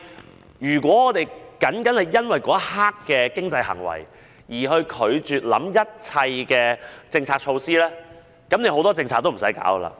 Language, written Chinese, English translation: Cantonese, 但如果我們單單因為那一刻的經濟行為而拒絕考慮一切政策措施，其實有很多政策也無須推行。, But if we refuse to consider every single policy measure just because of the momentary economic behaviour many policies can actually be put aside